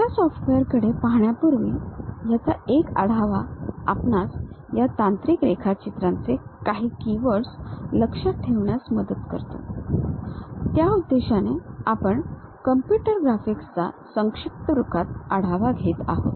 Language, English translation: Marathi, Before, really looking at these softwares, a overview always help us to remember certain keywords of this technical drawing; for that purpose we are covering this brief overview on computer graphics ok